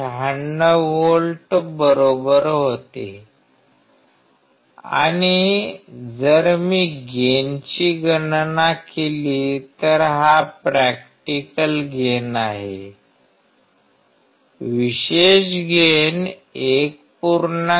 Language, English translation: Marathi, 96 volts right and if I calculate gain then this is the practical gain; particular gain would be 1